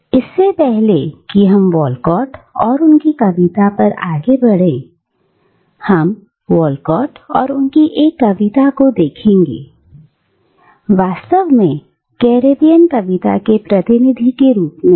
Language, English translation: Hindi, But before we move on to Walcott and his poetry, we will look at Walcott and one of his poems, in fact, as representative of Caribbean poetry today